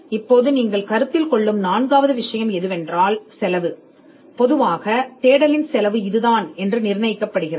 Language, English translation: Tamil, Now the fourth thing you would consider is the cost normally the cost of a search is fixed